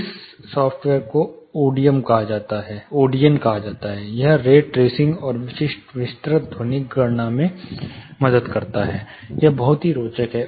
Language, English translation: Hindi, This software this is called Odeon, this helps you, know do these rate racing and specific detailed acoustic calculations, in a very interesting and understandable way